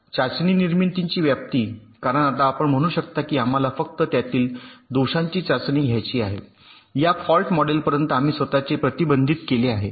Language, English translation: Marathi, by doing this we can say, simplifies or limit this scope of test generation, because now you can say that want to test only faults that belong to this fault model